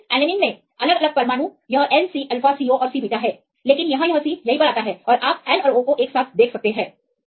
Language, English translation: Hindi, So, different atoms in leucine alanine this is N C alpha C O and C beta, but here this come to C right here and you can see N and O together